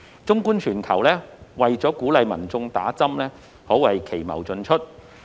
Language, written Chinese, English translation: Cantonese, 綜觀全球，為了鼓勵民眾打針，可謂奇謀盡出。, Looking around the world it can be said that all kinds of tactics have been employed to encourage people to get vaccinated